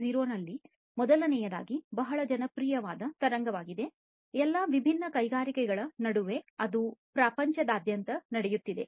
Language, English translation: Kannada, 0, first of all is a very popular wave that is going on worldwide among all different industries